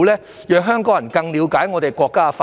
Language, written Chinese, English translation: Cantonese, 這能讓香港人更了解國家的發展。, This will enable Hong Kong people to better understand the development of the country